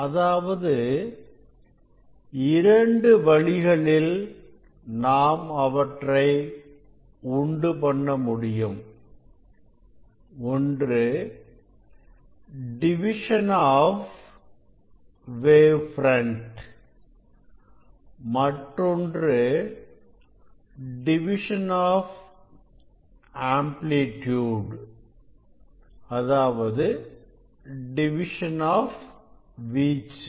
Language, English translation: Tamil, two ways, there are two ways: one is wave front division and another is amplitude division